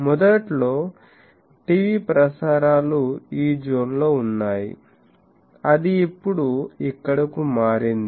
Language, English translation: Telugu, TV transmissions initially was in these zone then it became here